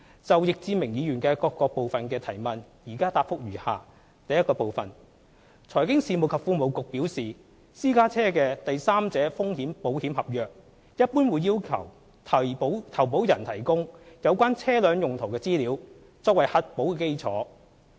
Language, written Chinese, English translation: Cantonese, 就易志明議員的主體質詢各部分提問，現答覆如下：一財經事務及庫務局表示，私家車的第三者風險保險合約一般會要求投保人提供有關車輛用途的資料，作為核保基礎。, 272 . My reply to the various parts of Mr Frankie YICKs question is as follows 1 As advised by the Financial Services and the Treasury Bureau when taking out a third party risks insurance policy for a private car the policyholder is generally required to provide information on the uses of the vehicle which will form the basis of underwriting